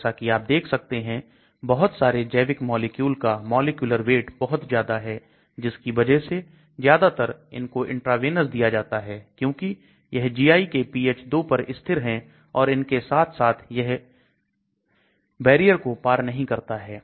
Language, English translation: Hindi, So as you can see many of these biological molecules have very large molecular weight and so most of them are given intravenous because of it is stability at GI pH of 2 as well as it will not be able the cross the barrier